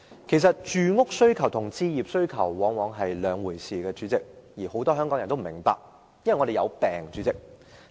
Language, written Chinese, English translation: Cantonese, 其實，住屋需求和置業需求往往是兩回事，但很多人都不明白，因為我們有"病"。, In fact the demand for housing and the demand for home ownership are often entirely different but many people just fail to get that . The reason is because we have all fallen sick